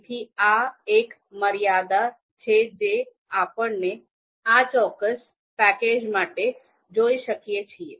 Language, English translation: Gujarati, So that is one limitation that we can see for this particular package